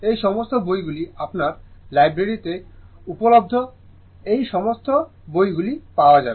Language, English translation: Bengali, All these books are available right in your library also all these books will be available